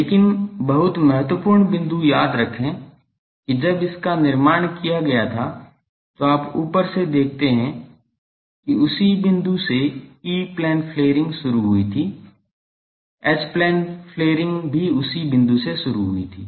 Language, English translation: Hindi, But remember the very important point, that when it was constructed you see from the top that from the same point when the E Plane flaring started, the H plane flaring also started from the same point